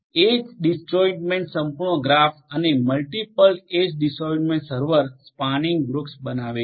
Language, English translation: Gujarati, Constructs edge disjoint complete graphs and forms multiple edge disjoint server spanning tree